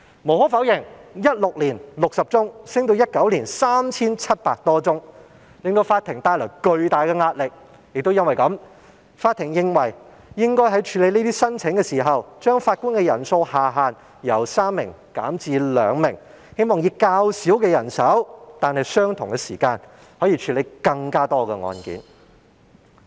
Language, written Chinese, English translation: Cantonese, 無可否認，由2016年的60宗上升至2019年的 3,700 多宗，確實為法庭帶來巨大壓力，因此法庭認為應該在處理這些申請時，把法官人數下限由3名減至2名，希望以較少人手但以相同時間處理更多案件。, Undeniably the increase from 60 cases in 2016 to more than 3 700 cases in 2019 did have imposed enormous pressure on the courts and the courts opined that the lower limit of the number of judges in a bench should be reduced from three to two in the processing of such applications in the hope that more cases can be handled by fewer judges within the same time frame